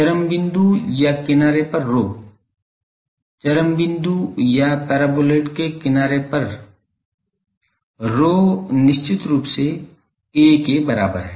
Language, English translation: Hindi, Rho is a so, rho at extreme point or edge; at extreme point or edge of the paraboloid, rho is definitely equal to their a